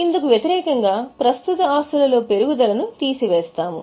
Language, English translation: Telugu, That's why increase in current asset is reduced